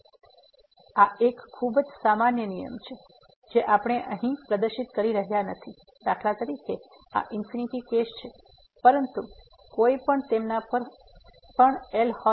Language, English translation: Gujarati, So, this is a very general rule which we are not proving here for example, this infinity case, but one can apply the L’Hospital’s rule their too